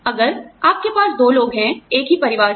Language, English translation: Hindi, If you have two people, from the same family